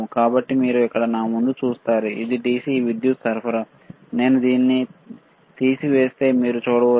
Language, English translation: Telugu, So, you see here in front of me it is a DC power supply, if I remove this, you can see very clearly, what is there is a DC power supply